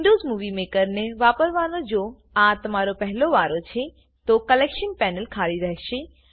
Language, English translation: Gujarati, If this is your first time using Windows Movie Maker, the Collection panel will be empty